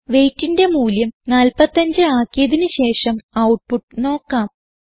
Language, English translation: Malayalam, Let us change the value of weight to 45 and see the output